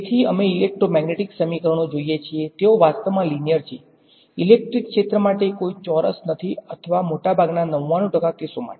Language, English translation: Gujarati, So, we look at electromagnetic equations they are actually linear, there is no square for electric field or something for the most 99 percent of the cases